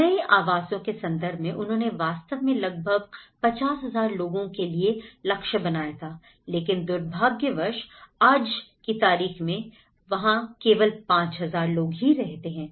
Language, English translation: Hindi, And in terms of the new dwellings, they actually aimed for about 50,000 people but today, unfortunately, only 5000 people lived there